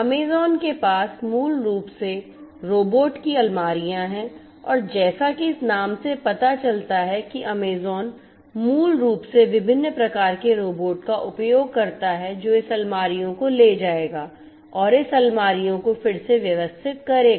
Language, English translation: Hindi, Amazon basically has the robotic shelves and as this name suggests basically Amazon uses different types of robots that will carry this shelves and rearrange this shelves